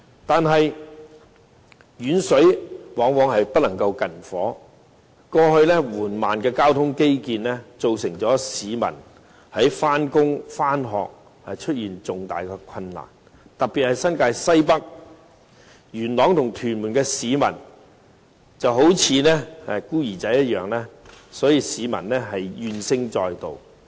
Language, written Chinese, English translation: Cantonese, 可是，遠水往往不能救近火，過去緩慢的交通基建導致市民在上班、上學時出現重大困難，特別是新界西北區，元朗和屯門的市民就好像孤兒一樣，無不怨聲載道。, The slow progress of infrastructure constructions in the past has already caused major difficulties for the general public when they are going to work or school . In particular people living in the North West New Territories Yuen Long and Tuen Mun feel like they are orphans . None of them is not grumbling and complaining about the problem